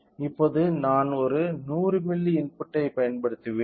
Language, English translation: Tamil, So, now, I will apply input of a 100 milli